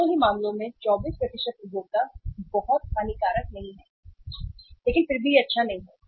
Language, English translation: Hindi, In both the cases 24% consumers are not very harmful but still it is not good